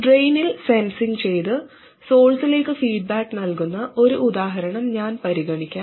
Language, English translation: Malayalam, Let me consider an example where we censored the drain and feedback to the source